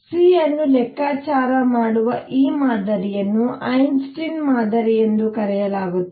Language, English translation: Kannada, By the way, this model of calculating C is known as Einstein model